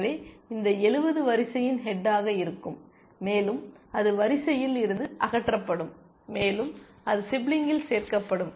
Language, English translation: Tamil, So, this 70 would be the head of the queue, and it will get removed from the queue, and it is sibling would be added